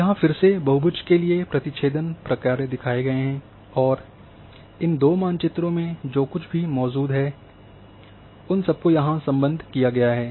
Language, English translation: Hindi, Again union functions for polygon are shown here, and that everything in whatever was present in these two maps have been unioned here